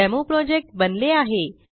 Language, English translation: Marathi, DemoProject has been created